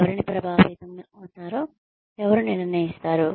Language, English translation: Telugu, Who decides who is going to be affected